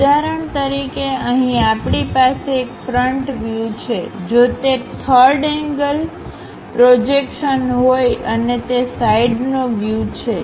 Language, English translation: Gujarati, For example, here we have a front view, a top view ah; if it is in third angle projection and a side view we have it